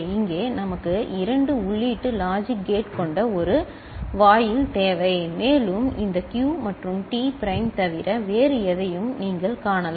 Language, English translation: Tamil, Here we need a gate with that is 2 input logic gate, and we can see other than this Q and T prime you can have other combination also